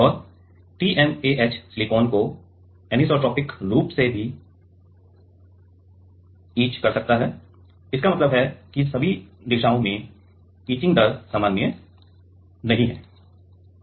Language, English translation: Hindi, And TMAH also etches silicon anisotropically, means; in all in all the direction the etching rate is not safe